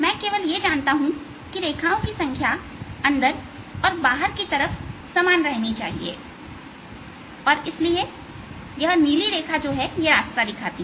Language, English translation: Hindi, the only thing i know is that the number of lines should remain the same outsider, inside, and therefore this is the blue line